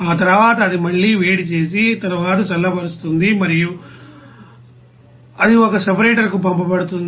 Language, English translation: Telugu, After that it will be again heating and then cooling and then you know it will be sent to a separator